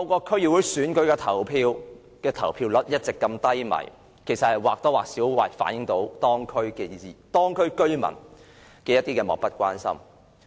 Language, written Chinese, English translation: Cantonese, 區議會選舉的投票率一直如此低，或多或少反映地區居民漠不關心。, The turnout rate of DC elections has always been low and this shows the lack of interest of residents